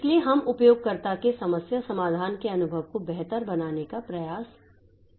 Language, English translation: Hindi, So, so we will try to make the problem solving experience of the user better